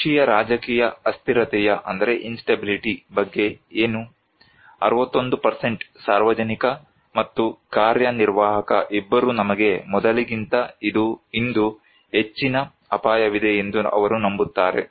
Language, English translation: Kannada, What about domestic political instability; 61% both public and executive, they believe that we have more risk today than before